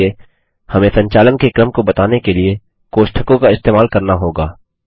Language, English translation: Hindi, So we have to use Brackets to state the order of operation